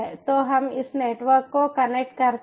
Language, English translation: Hindi, so lets connect this network